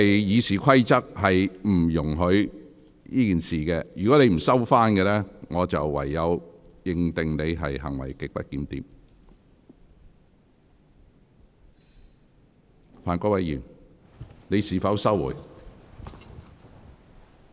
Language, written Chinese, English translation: Cantonese, 《議事規則》並不容許作出有關指控，如果你不收回這項指控，我會視之為行為極不檢點。, That accusation is not allowed under the Rules of Procedure . If you do not withdraw the accusation I will regard your behaviour as grossly disorderly